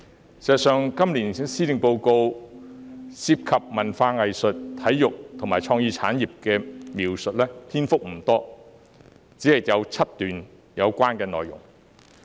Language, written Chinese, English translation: Cantonese, 事實上，今年施政報告涉及文化藝術、體育和創意產業的篇幅不多，只有7段相關內容。, In fact the Policy Address this year has not devoted much space to culture arts sports and creative industries with only seven relevant paragraphs